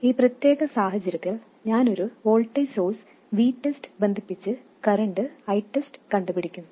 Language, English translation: Malayalam, And in this particular case, I will connect a voltage source v test and find the current I test